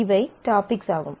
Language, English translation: Tamil, So, these are the topics